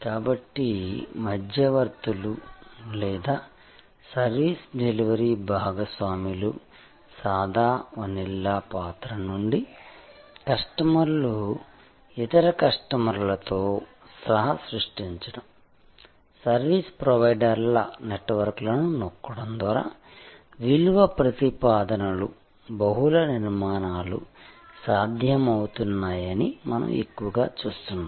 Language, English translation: Telugu, So, from plain vanilla role of intermediaries or service delivery partners, we are increasingly seeing customers co creating with other customers, value propositions by tapping into networks of service providers, there are multiple formations possible